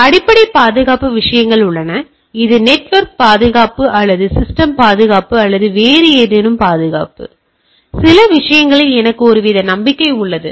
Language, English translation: Tamil, So, there are underlying any security things, whether it is network security or computer security or any other security, I have some sort of a trust on some of the things